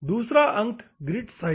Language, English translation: Hindi, The second one is the grit size